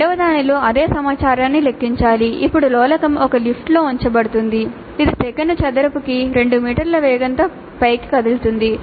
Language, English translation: Telugu, But in the second one, the same information is to be calculated, but now the pendulum is placed in a lift which is moving upwards within an acceleration of 2 meters per second square